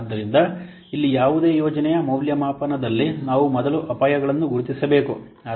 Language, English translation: Kannada, So here in any project evaluation, we should identify the risk first